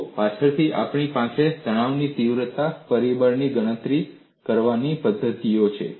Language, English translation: Gujarati, See, later on, we are going to have methodologies to calculate the stress intensity factor